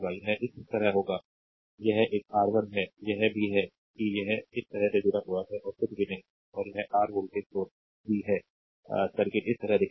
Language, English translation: Hindi, Also it is it is your R 2 connected like this and nothing is there, and this is your voltage source v, the circuit will look like this , right